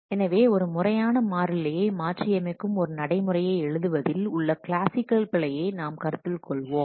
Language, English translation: Tamil, So, for instance, let us consider the classical error of writing a procedure that modifies a formal parameter